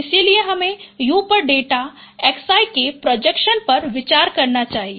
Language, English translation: Hindi, So we should consider projection of data x i on u